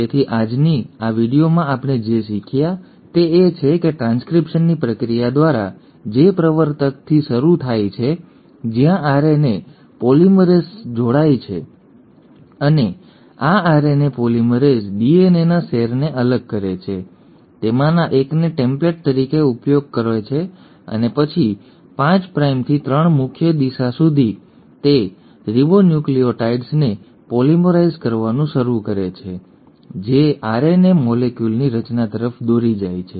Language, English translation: Gujarati, So in today’s video what we have learnt is that through the process of transcription which starts at the promoter, where the RNA polymerase binds, and this RNA polymerase separates the strands of the DNA, uses one of them as a template and then from a 5 prime to 3 prime direction it starts polymerising the ribonucleotides leading to formation of an RNA molecule